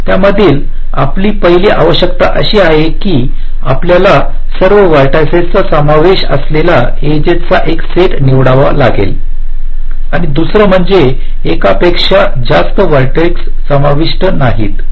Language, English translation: Marathi, your first requirement is that you have to select a set of edges such that all vertices are included and, secondly, no vertex is included more than once